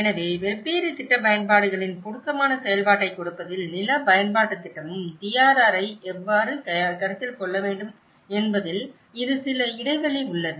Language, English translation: Tamil, So, this is some of the lacuna in what how the land use planning also have to consider the DRR in giving an appropriate functionality of different plan uses, you know